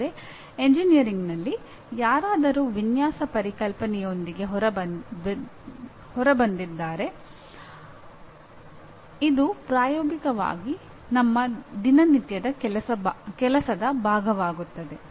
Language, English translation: Kannada, But somebody has come out with design concept and it becomes part of our day to day work practically in engineering